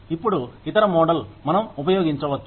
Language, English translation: Telugu, Now, the other model, that we can use